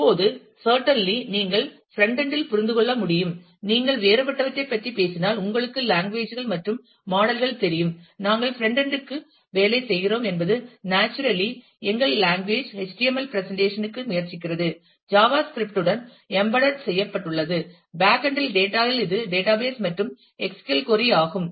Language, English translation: Tamil, Now, certainly you can understand that at the frontend, if we if we talk about what are different you know languages and models, that we are working within the frontend naturally our language is HTML tries for presentation, embedded with java script, at the backend in the data it is the database and the SQL query